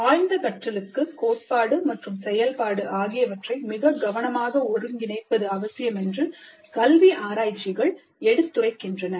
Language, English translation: Tamil, And the educational research has shown that deep learning requires very tight integration of theory and its application